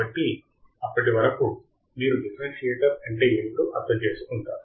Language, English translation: Telugu, So, till then you understand what exactly is a differentiator